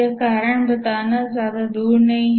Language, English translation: Hindi, The reason is not very far to seek